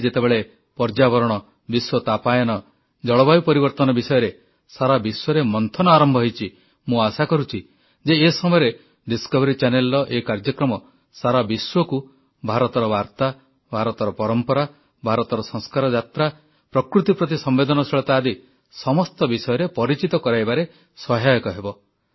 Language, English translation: Odia, Today, when there is a global churning of thought on environment, Global Warming, and Climate Change, I do hope that in such circumstances, this episode of Discovery Channel will help greatly in familiarizing the world with the message from India, the traditions of India and the empathy for nature in India's trail of glorious traditions